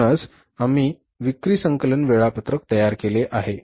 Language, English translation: Marathi, That's why we have prepared the sales collection schedule